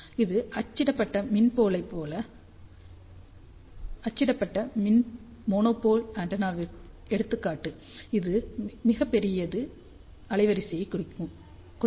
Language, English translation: Tamil, And this is the example of a printed electrical monopole antenna which gives very large bandwidth